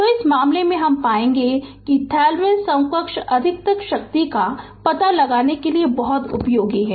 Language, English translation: Hindi, So, in this case you will find, you will find that Thevenin equivalent is very useful in finding out the maximum power power right